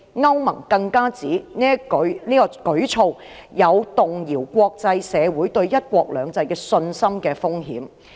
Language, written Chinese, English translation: Cantonese, 歐盟更指此舉有動搖國際社會對香港"一國兩制"信心的風險。, The European Union also pointed out that the incident could rock the international communitys confidence in Hong Kongs one country two systems